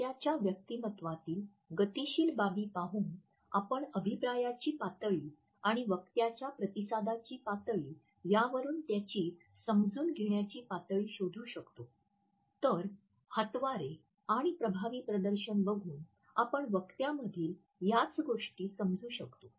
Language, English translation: Marathi, By looking at the kinesic aspects of the listeners personality we can make out the level of feedback the level of understanding the level of response etcetera in a speaker, whereas, by looking at illustrators and effective displays we can just the same things in a speaker